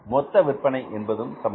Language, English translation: Tamil, Total production is same